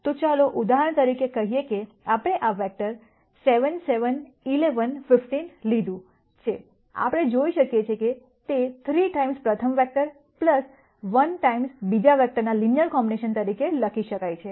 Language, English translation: Gujarati, So, let us say for example, we have taken this vector 7 7 11 15, we can see that that can be written as a linear combination of 3 times the rst vector plus 1 times the second vector and so on